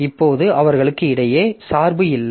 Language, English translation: Tamil, So, there is no dependency between them